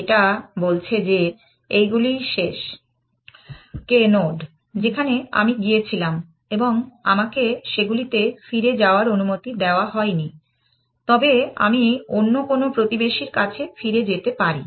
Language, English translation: Bengali, It is saying that these are the last k nodes that I went to and I am not allowed to go back to them, but I can I am allowed to go back to any other neighbor